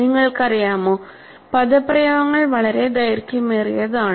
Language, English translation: Malayalam, You know, the expressions are very, very long